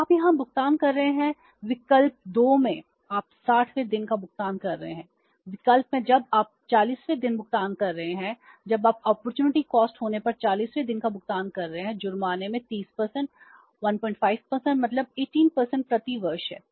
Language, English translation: Hindi, In the option 1 you are making the payment on the 40th day when you are making the payment on the 40th day when the opportunity cost is 30% and the penalty is 1